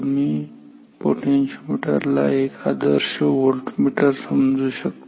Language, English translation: Marathi, So, we have the voltmeter connected here an ideal voltmeter or a potentiometer ok